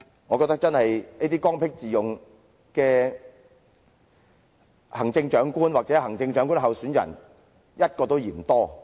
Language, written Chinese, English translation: Cantonese, 我覺得，這種剛愎自用的行政長官或行政長官候選人一個都嫌多。, I think even one such Chief Executive or Chief Executive Election candidate is already too many